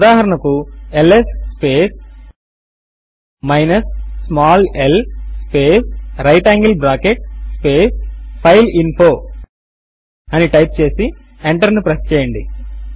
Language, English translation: Telugu, Say we write ls space minus small l space right angle bracket space fileinfo and press enter